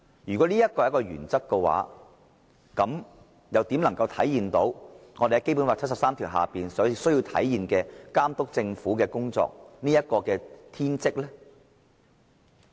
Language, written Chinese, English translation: Cantonese, 如果這就是修訂的目的，那麼立法會又怎能體現《基本法》第七十三條訂明監督政府的功能和天職呢？, If this is the purpose of this amendment then how can the Legislative Council discharge the function and mission to monitor the Government stipulated under Article 73 of the Basic Law?